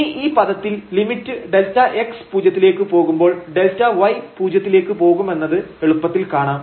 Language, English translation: Malayalam, And now this term we can easily see that here the limit as delta x goes to 0 delta y goes to 0